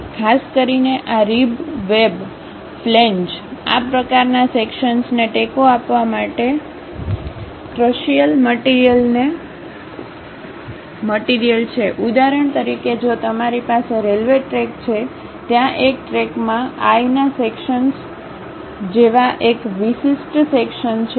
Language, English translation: Gujarati, Typically these ribs, web, flanges this kind of sections are crucial materials to support; for example, like if you have a railway track, there is a track is having one specialized section like eye sections